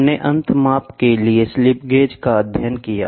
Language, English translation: Hindi, We studied the slip gauge for end measurement